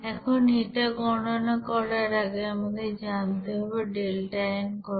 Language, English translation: Bengali, Now before going to calculate that you have to know what should be the delta n